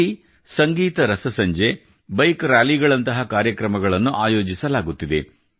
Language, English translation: Kannada, Programs like Musical Night, Bike Rallies are happening there